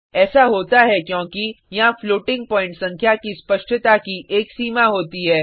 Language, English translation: Hindi, This happens because there is a limit to the precision of a floating point number